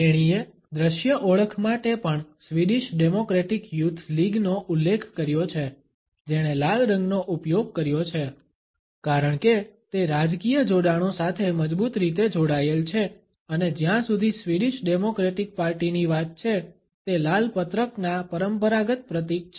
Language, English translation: Gujarati, She is also referred to the visual identity of the Swedish Democratic Youth League which has used red as it is a strongly tied to the political affiliations and the traditional symbol of the red rolls as far as the Swedish Democratic Party is concerned